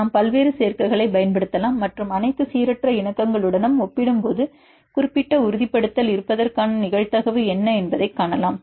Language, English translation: Tamil, We can use various combinations and see what is the probability of having the particular confirmation it compared with the all random conformations